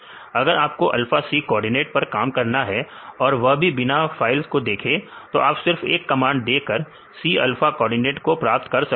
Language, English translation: Hindi, So, if you want to work on the C alpha coordinates without looking into these files; just you give one command and you will get the C alpha coordinates and use it for the further programming